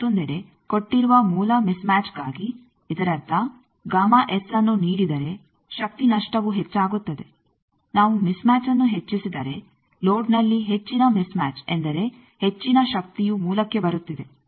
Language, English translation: Kannada, On the other hand for a given source mismatch; that means, given gamma S this power lost is increased, if we increase the mismatch because more mismatch in the load means more power is coming to the source